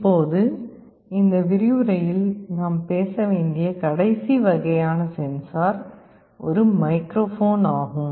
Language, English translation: Tamil, Now, the last kind of sensor that we shall be talking about in this lecture is a microphone